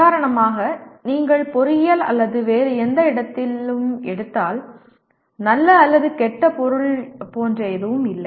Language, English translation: Tamil, For example if you take any subject in engineering or any other place there is nothing like a good or bad subject